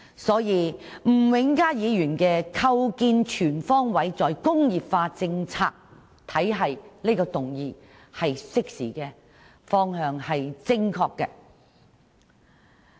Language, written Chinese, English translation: Cantonese, 可見吳永嘉議員提出這項"構建全方位'再工業化'政策體系"議案是適時的，方向是正確的。, It can thus be seen that Mr Jimmy NGs motion on Establishing a comprehensive re - industrialization policy regime is timely and in the right direction